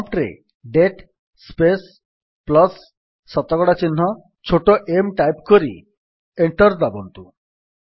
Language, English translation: Odia, Type at the prompt: date space plus percentage sign small m and press Enter